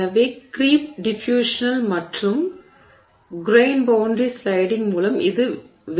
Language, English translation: Tamil, So, this was explained by creep, diffusional creep and grain boundary sliding